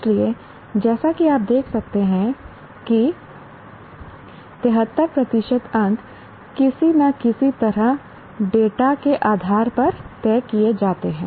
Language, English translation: Hindi, So, as you can see, 73% of the marks are somehow decided by a tool based on the data